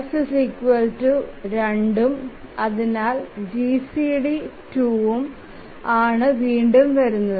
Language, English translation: Malayalam, So f is 2 and therefore the GCD is 2 and again this holds